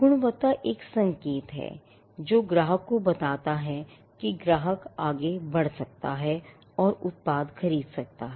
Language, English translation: Hindi, Now, quality is a signal which tells the customer that the customer can go ahead and buy the product